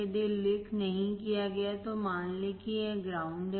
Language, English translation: Hindi, If not mentioned, assume that there is ground